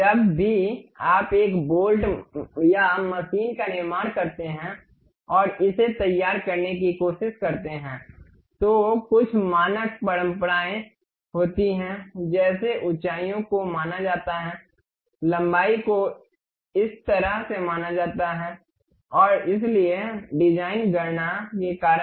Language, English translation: Hindi, Whenever you manufacture a bolt or machine a bolt and try to prepare it there are some standard conventions like heights supposed to this much, length supposed to be this much and so on because of design calculation